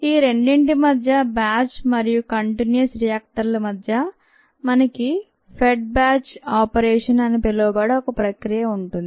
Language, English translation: Telugu, between these two, the batch and the continuous, you have something called a fed batch operation